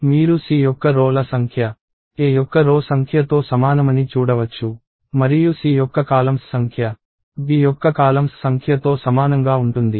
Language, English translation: Telugu, So, you can see that, the number of rows of C are the same as the number of rows of A; and the number of columns of C is the same as the number of columns of B